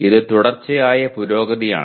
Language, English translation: Malayalam, That is continuous improvement